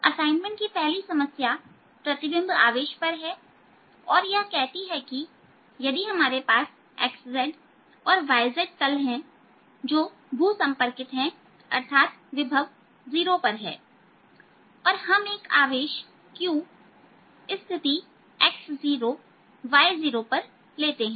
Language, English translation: Hindi, a first problem of the assignment is on the image charge and it says if we have the x, z and y z plane which are grounded, that means there are potential zero and we take a charge at the position charge q at the position x, naught, y, naught